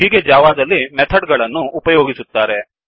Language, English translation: Kannada, This is how methods are used in java